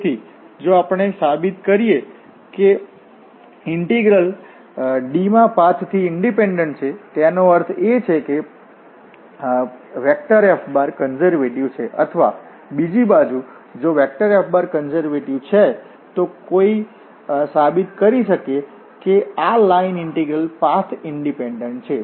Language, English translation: Gujarati, So, if we prove that this integral is independent of path in D that means, that F is conservative or the other way around if F is conservative one can prove that this line integral is path independent